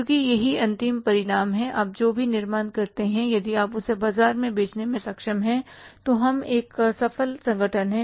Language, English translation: Hindi, Whatever you manufacture, if you are able to sell that in the market, we are a successful organization